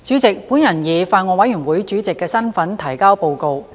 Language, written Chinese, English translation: Cantonese, 主席，我以法案委員會主席的身份提交報告。, President I deliver the report in my capacity as the Chairman of the Bills Committee